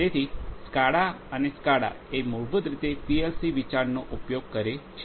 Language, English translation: Gujarati, So, this SCADA and SCADA in turn basically use the concept of the PLCs